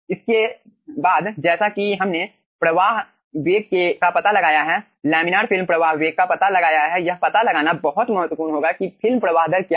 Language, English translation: Hindi, okay, next, as we have found out, the flow velocity, laminar film flow velocity, it will be very critical to find out what is the film flow rate